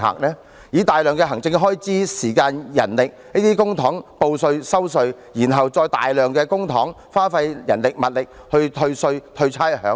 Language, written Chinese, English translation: Cantonese, 花費大量的行政開支、時間、人力等要求市民報稅、收稅，然後再花費大量公帑、人力物力去退稅、退差餉。, While large amounts of administration expenses time and manpower are spent on processing tax returns and collecting tax large amounts of public money manpower and resources are spent on tax and rates rebates